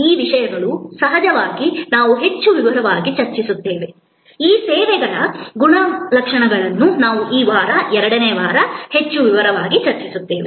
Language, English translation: Kannada, These topics of course, we will discuss more in detail, these characteristics of services we will discuss more in detail during this week, the second week